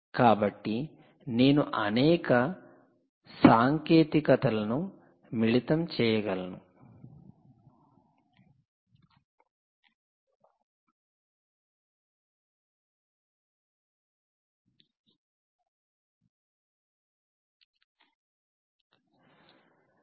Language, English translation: Telugu, so you can combine several technologies, right